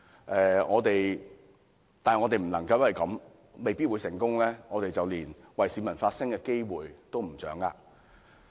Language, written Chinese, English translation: Cantonese, 不過，我們不能夠因為未必成功，便連為市民發聲的機會也放棄。, Anyway this should not make us give up the chance of speaking for the people